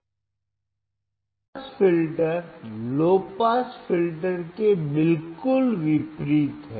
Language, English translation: Hindi, High pass filter is exact opposite of low pass filter